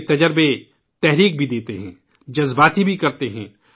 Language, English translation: Urdu, Her experiences inspire us, make us emotional too